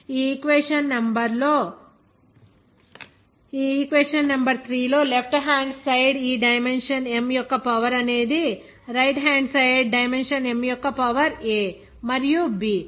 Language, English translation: Telugu, In the left hand inside dimension of the power of this dimension M is one where the power of this dimension M on the right hand side of this equation number 3 is a and b